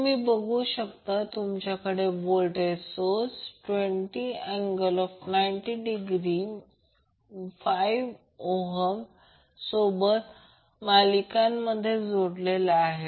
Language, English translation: Marathi, You see that you have voltage source 20 angle minus 90 degree connected in series with 5 ohm